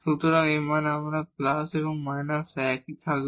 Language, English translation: Bengali, So, this value whether we take plus and minus will remain the same